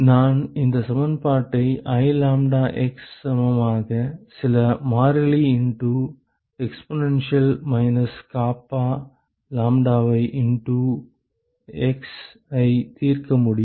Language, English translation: Tamil, I can solve this equation I lambdax equal to some constant into exponential of minus kappa lambda into x